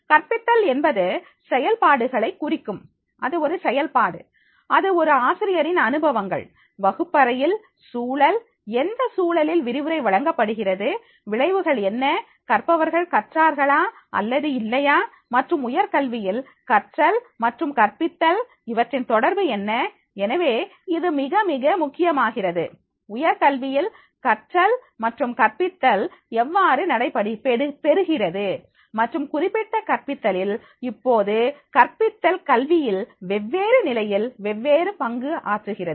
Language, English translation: Tamil, Pedagogy refer to the processes, it is a process, it is the experiences that is the teacher is having the classroom, context, in which context the lecture is delivered, outcomes whether the learner has learned or not, and the relationships of the teaching and learning in higher education, so therefore it becomes very, very important that is the how teaching and learning is done into the higher education and therefore this particular pedagogy, now here the pedagogy at different level of the education that will play the different role